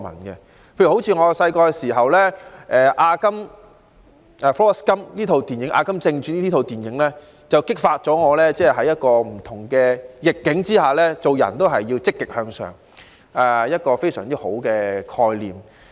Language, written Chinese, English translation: Cantonese, 例如我小時候觀看的電影《阿甘正傳》，便激發了我在不同逆境之下均要積極向上，傳遞了一個很好的概念。, For example I watched the movie Forrest Gump when I was small and it has inspired me with the very good concept of standing up to whatever adversities encountered with a positive attitude